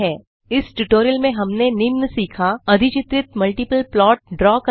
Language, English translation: Hindi, In this tutorial,we have learnt to, Draw multiple plots which are overlaid